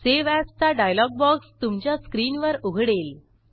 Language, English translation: Marathi, The Save As dialog box appears on your screen